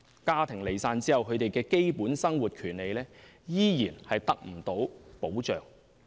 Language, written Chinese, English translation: Cantonese, 家庭離散後，他們的基本生活權利依然得不到保障。, Their basic rights in life are not protected after their families have broken up